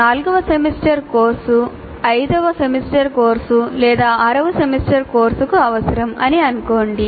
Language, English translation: Telugu, Let's say a fourth semester course can be prerequisite to a fifth semester course or a sixth semester course